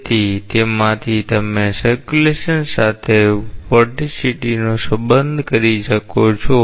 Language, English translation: Gujarati, So, from that you can relate vorticity with circulation